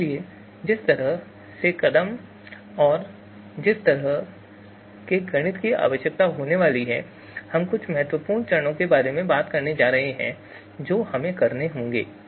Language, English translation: Hindi, So therefore, the kind of steps and the kind of mathematics that is going to be required, we are going to talk about some important you know steps that we will have to perform